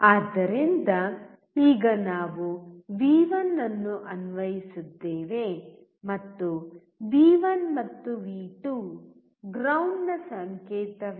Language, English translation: Kannada, So, now we have applied V1 and V2 and there is a ground signal